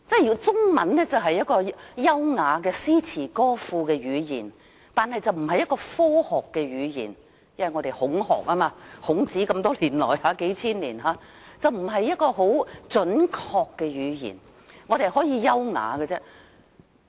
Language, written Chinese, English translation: Cantonese, 由於中文是優雅的詩詞歌賦語言，並不是科學的語言，因受"孔學"就是孔子數千年以來的影響，中文不是很準確的語言，只可以是優雅的語言。, Chinese is an elegant poetic language rather than a scientific language . Due to the influence of Confucian studies or Confucius for several thousand years the Chinese language can only be an elegant language rather than a precise language